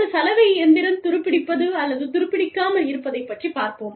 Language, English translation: Tamil, But, there was something, about a washing machine being, not being rusted